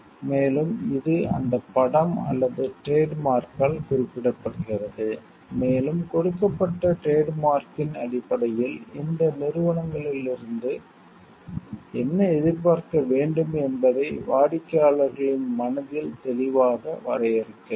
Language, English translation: Tamil, And it is represented by that picture or a trademark, and it defines clearly in the mind of the customers what to expect from these organizations based on the trademark what is given